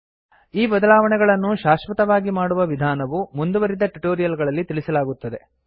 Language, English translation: Kannada, The way by which we can make these modifications permanent will be covered in some advanced tutorial